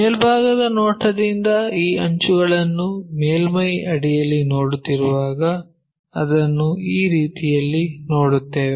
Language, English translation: Kannada, When we are looking from top view these edges under surface we will see it in that way